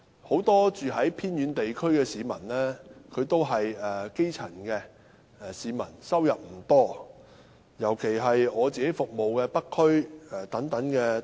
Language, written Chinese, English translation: Cantonese, 很多住在偏遠地區的市民均屬基層，收入不多，尤其是我服務的北區。, Many people living in the remote areas are grass roots making a meagre income especially in the North District served by me